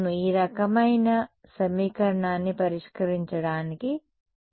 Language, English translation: Telugu, Yes what is the straightforward way of solving this kind of an equation